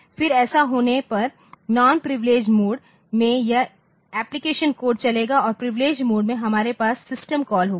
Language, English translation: Hindi, Then this so, in the non privileged mode this application code will be running and this so and in the privileged mode we will have the system call